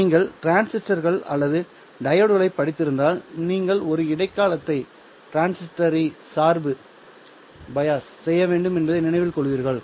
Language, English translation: Tamil, If you have studied transistors or diodes, you would remember that you have to bias a transistor at a particular operating point, correct